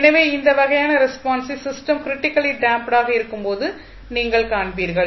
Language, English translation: Tamil, So, this kind of response you will see when the system is critically damped